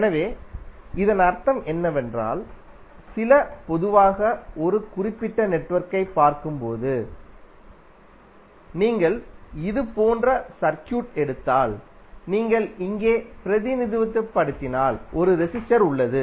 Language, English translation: Tamil, So what does it mean, some generally when you see a particular network like if you represent here there is a resistor, if you take the circuit like this